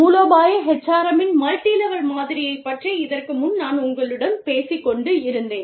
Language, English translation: Tamil, I was talking to you, a little while ago, about the strategic, the model of strategic, multilevel model of strategic HRM